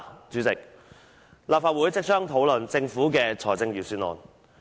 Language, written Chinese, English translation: Cantonese, 主席，立法會即將討論政府的財政預算案。, President the Legislative Council is going to discuss the Governments budget soon